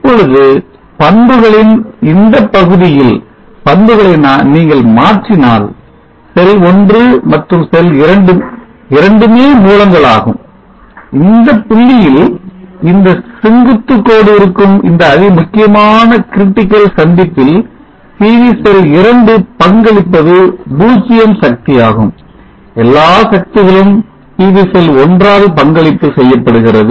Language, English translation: Tamil, Now if you convert this characteristic during this portion of the characteristic we see that both cell1 and cell 2 are sourcing and at this point, at this critical junction where there this vertical line, this point PV cell 2 contribute 0 power all the power is contributed by PV cell 1